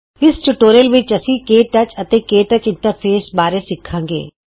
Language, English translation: Punjabi, In this tutorial you will learn about KTouch and the KTouch interface